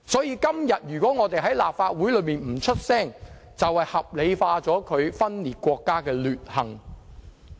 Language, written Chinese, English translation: Cantonese, 因此，如果我們今天不在立法會發聲，便是合理化他分裂國家的劣行。, Therefore remaining silent in the Legislative Council today is equivalent to rationalizing their despicable acts of secession